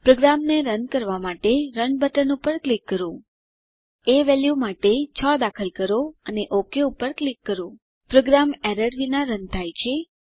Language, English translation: Gujarati, Lets click on Run button to run the program Enter 6 for a value and click OK Program runs without errors